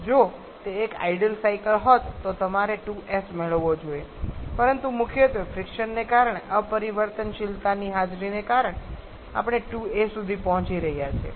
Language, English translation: Gujarati, Had it been an ideal cycle you should have got 2s, but because of the presence of irreversibilities primarily because of friction, we are reaching 2a